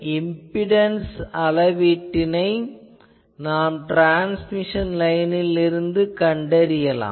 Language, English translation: Tamil, So, the impedance that is seen from here this is the transmission line